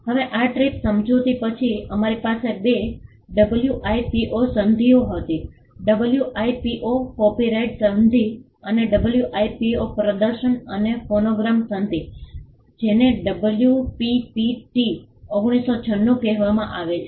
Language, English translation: Gujarati, Now after this TRIPS agreement we had two WIPO treaties, the WIPO copyright treaty and the WIPO performances and phonogram treaty called the WPPT1996